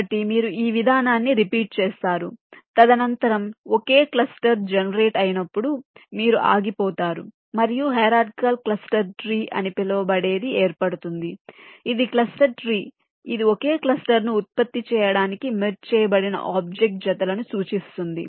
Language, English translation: Telugu, so you repeat this process and you stop when, subsequently, a single cluster is generated and something called a hierarchical cluster tree has been formed, a cluster tree which indicates this sequence of object pairs which have been merged to generate the single cluster